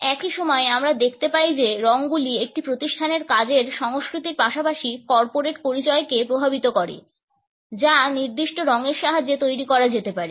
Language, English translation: Bengali, At the same time we find that colors impact the work culture in an organization as well as the corporate identity which can be created with the help of certain colors